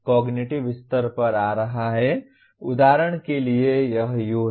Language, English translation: Hindi, Coming to cognitive level for example this is U